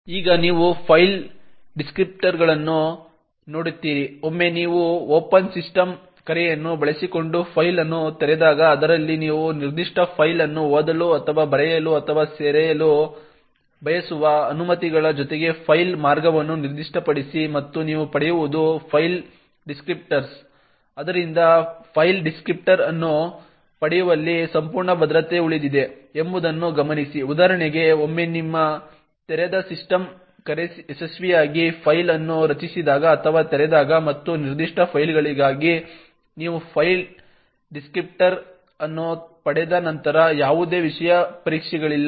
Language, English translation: Kannada, Will now look at file descriptors, once you open a file using the open system call in which is specify a file path along with permissions that you want to read or write or append to that particular file and what you obtain is a file descriptor, so note that the entire security rest in just obtaining the file descriptor, so for example once your open system call has successfully created or open that file and you have obtained the file descriptor for that particular file after that there are no special test that are done on that file